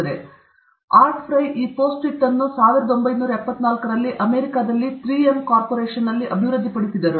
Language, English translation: Kannada, So, Art Fry developed this PostIt® in 3M Corporation, in the US, in 1974